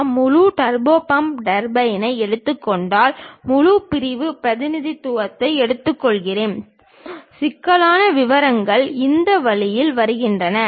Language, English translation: Tamil, If I am taking that entire turbo pump turbine, taking a full sectional representation; the complicated details will come out in this way